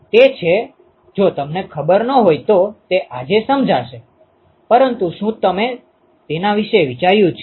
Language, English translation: Gujarati, It is if you do not know will explain that today, but did you ponder about it ok